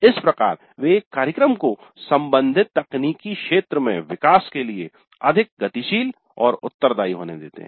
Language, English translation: Hindi, So they allow a program to be more dynamic and responsive to the developments in the technical domain concern